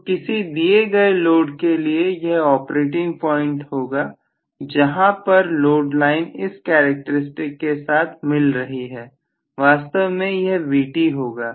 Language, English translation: Hindi, So, this will be the operating point for a given load where the load line is intersecting with this characteristics, so this is going to be actually the Vt value, Right